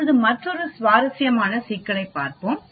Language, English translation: Tamil, Now let us look at another interesting problem